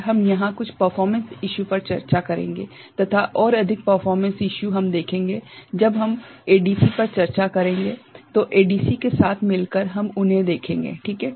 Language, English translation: Hindi, And, we shall discuss some of the performance issues here and more performance issues we shall take up when we discuss ADC, together with ADC we shall look at them ok